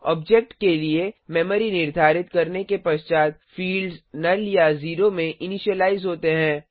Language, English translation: Hindi, After the memory is allocated for the object the fields are initialized to null or zero